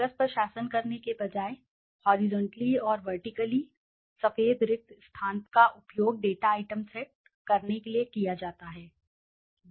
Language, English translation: Hindi, Instead of ruling the paper horizontally or vertically white spaces are used to set off data items